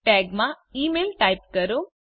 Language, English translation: Gujarati, In Tags type email